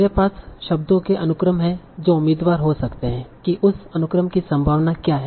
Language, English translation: Hindi, So I have a sequence of words in my sentence that might be a candidate